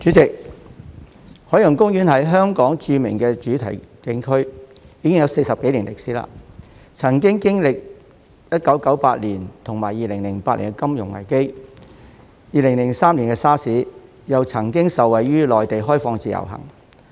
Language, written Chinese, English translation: Cantonese, 代理主席，海洋公園是香港著名的主題景區，已經有40多年歷史，曾經歷1998年和2008年的金融危機、2003年的 SARS， 又曾經受惠於內地開放自由行。, Deputy President Ocean Park OP is a famous theme park and tourist attraction in Hong Kong . With a history of over 40 years it has gone through the financial crises in 1998 and 2008 as well as SARS in 2003 and had benefited from the introduction of the Individual Visit Scheme in the Mainland